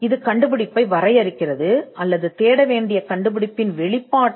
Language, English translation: Tamil, It defines the invention, or the disclosure of the invention which needs to be searched